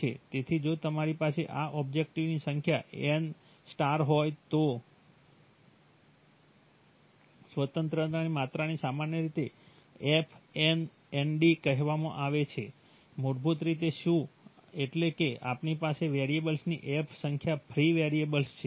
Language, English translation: Gujarati, So if you have n* number of such objectives then The degree of freedom is typically called f n nd, basically what, that is you have f number of variables, free variables